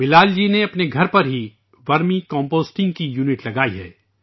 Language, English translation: Urdu, Bilal ji has installed a unit of Vermi composting at his home